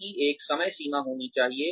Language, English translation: Hindi, They should have a deadline